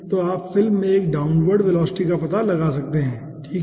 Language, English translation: Hindi, so you can find out a downward velocity in the film, okay